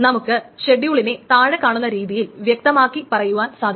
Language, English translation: Malayalam, So, for example, schedule can be simply specified in the following manner